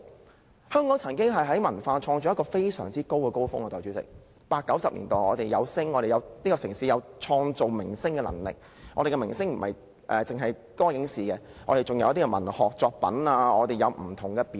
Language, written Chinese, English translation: Cantonese, 代理主席，香港曾經有一個文化創作高峰，在1980及1990年代，這個城市有創造明星的能力，我們的明星不單來自歌影視界，還有文學作品及不同表演。, Deputy President there was a time when cultural creation reached its climax in Hong Kong . This city was the birthplace of stars in the 1980s and 1990s . They not only came from the music film and television sector but also from the literary sector and different performance sectors